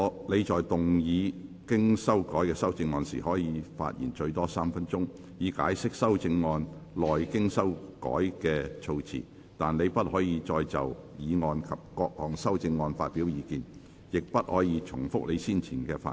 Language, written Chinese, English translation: Cantonese, 你在動議經修改的修正案時，可發言最多3分鐘，以解釋修正案內經修改過的措辭，但你不可再就議案及各項修正案發表意見，亦不可重複你先前的發言。, When moving your revised amendment you may speak for up to three minutes to explain the revised terms in your amendment but you may not express further views on the motion and the amendments nor may you repeat what you have already covered in your earlier speech